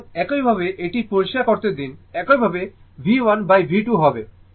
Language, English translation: Bengali, So, similarly let me clear it, similarly V 1 by V 2